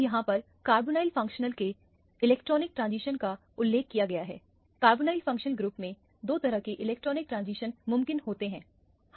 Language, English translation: Hindi, Now, the electronic transition of a carbonyl group is represented here there are two types of electronic transition that are possible in a carbonyl functional group